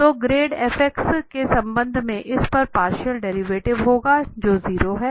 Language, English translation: Hindi, So the grad f will be the partial derivative of this with respect to x which is 0